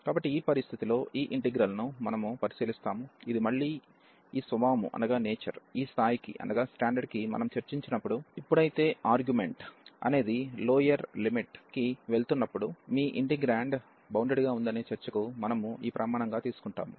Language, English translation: Telugu, So, in this situation so we will be considering this integral, which is again of this nature, which we take as these standard for the discussion that f your integrand is bounded, when the argument is going to the lower limit